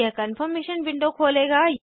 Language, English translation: Hindi, This will open a Confirmation window